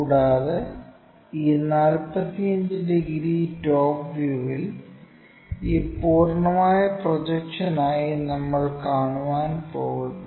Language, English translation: Malayalam, And, this 45 degrees we will be going to see it for this complete projection thing on the top view